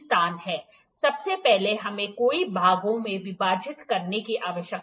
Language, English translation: Hindi, First we need to divide into number of parts